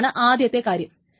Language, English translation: Malayalam, That is the first example